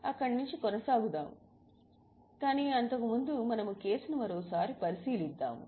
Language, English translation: Telugu, But just we will look at the case once again